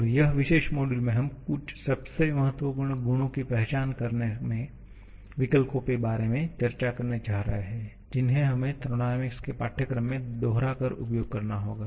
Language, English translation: Hindi, And this particular module, we are going to discuss about the options of identifying some of the most crucial properties that we have to make repeated use of in course of thermodynamics